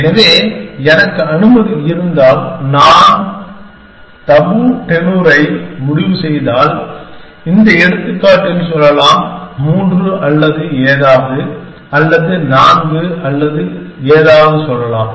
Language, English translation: Tamil, So, if I am allowed to, if I decide on tabu tenure of t, let us say in this example, let say 3 or something or 4 or something